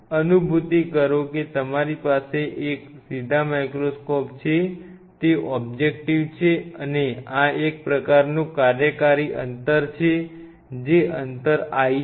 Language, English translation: Gujarati, Realize and you have an upright microscope those objectives are and this is the amount this is the kind of working distance I am talking about this is the l